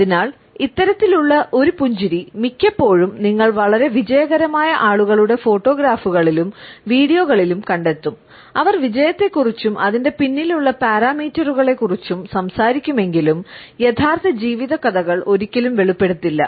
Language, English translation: Malayalam, So, often you would find this type of a smile in the photographs and videos of highly successful people, who may often talk about success and the parameters behind it, yet never revealed the true life stories